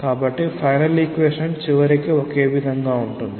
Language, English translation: Telugu, So, the final equation would eventually be the same